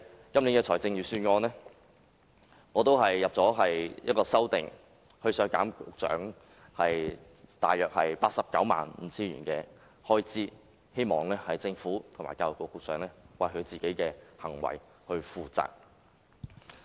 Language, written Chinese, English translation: Cantonese, 因此，我就今年預算案提出一項修正案，削減局長大約 895,000 元開支，希望政府及局長為其行為負責。, Thus I have proposed a CSA to the Appropriation Bill this year to deduct the Secretarys expenditure by about 895,000 in the hope that the Government and the Secretary can be held responsible for what they have done